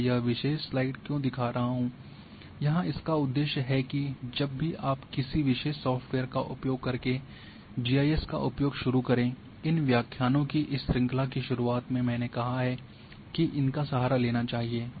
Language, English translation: Hindi, Why I am showing this particular slide the purpose here is whenever you go and start using GIS using a particular software in the beginning of this series of these lectures I have said that one should resort to the help